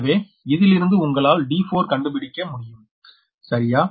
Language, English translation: Tamil, so from that you can find out that what will be your d two, right